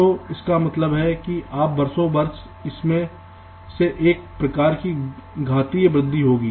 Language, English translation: Hindi, so this means some kind of an exponential growth over the years